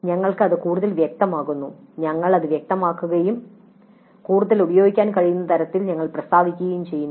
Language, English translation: Malayalam, We make it more clear, we make it unambiguous and we state it in a way in which we can use it further